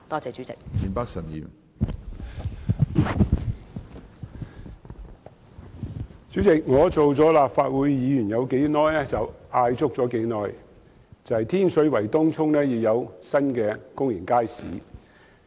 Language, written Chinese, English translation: Cantonese, 主席，自我出任立法會議員以來，便一直要求當局在天水圍和東涌設立新公眾街市。, President since I assumed office as a Member of the Legislative Council I have been urging the authorities to set up new public markets in Tin Shui Wai and Tung Chung